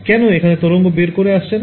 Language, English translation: Bengali, Why would not the wave go out